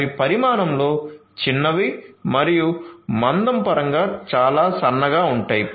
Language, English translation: Telugu, So, they are small in size and also in very thin in terms of thickness